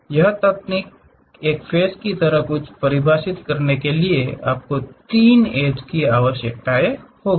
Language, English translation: Hindi, Even to define something like a face you require 3 edges